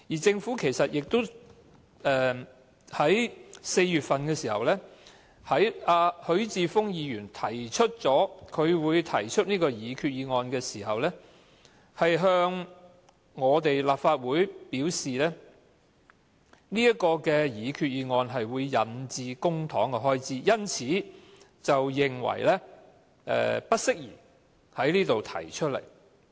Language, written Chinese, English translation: Cantonese, 在今年4月份，當許智峯議員表示將會提出這項擬議決議案時，政府向立法會表示這項擬議決議案會引致公帑的支出，因此認為不適宜在立法會提出。, In April this year when Mr HUI Chi - fung voiced his intention of moving this resolution the Government told the Legislative Council that the proposed resolution would have a charging effect so it was not appropriate to put it before the Legislative Council